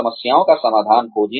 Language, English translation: Hindi, Find solutions to problems